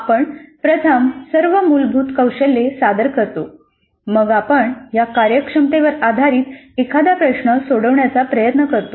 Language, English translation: Marathi, So we present first all the basic skills then we try to solve a task based on these competencies